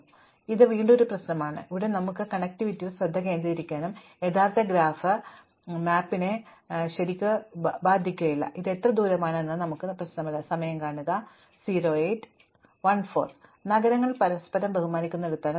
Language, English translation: Malayalam, So, this is again a problem, where we can focus on the connectivity and throw away the actual graph, it does not really a matter to us the actual map, it does not matter to us how far apart these cities are, where they are with respect to each other